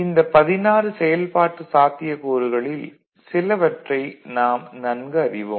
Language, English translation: Tamil, And with this, among these 16 possibilities, we are familiar with which operations